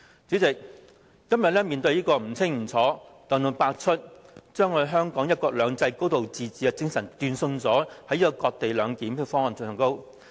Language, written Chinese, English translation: Cantonese, 主席，今天面對這個不清不楚，把香港"一國兩制"及"高度自治"的精神斷送的這個"割地兩檢"方案。, President the proposal laid before us is ambiguous and is set to ruin the spirits of one country two systems and a high degree of autonomy